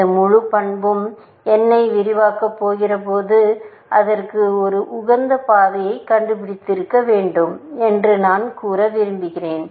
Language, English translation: Tamil, This whole property, we want to say that when is about to expand n, it must have found an optimal path to that, essentially